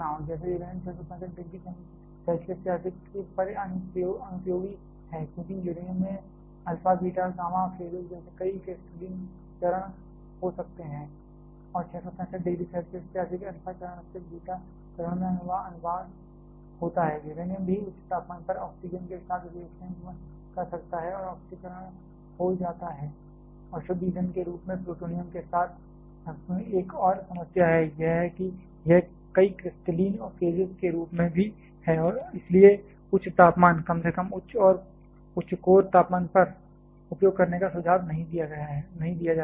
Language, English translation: Hindi, Like uranium is unusable beyond 665 degree Celsius, because uranium can have several crystalline phases like alpha, beta and gamma phases and beyond 665 degree Celsius there is a translation from alpha phase to the beta phase, uranium can also react with oxygen at high temperatures and get oxidized and another problem with plutonium as a pure fuel is it also as several crystalline phases and therefore, not suggested to be used at high temperatures, at least high core temperatures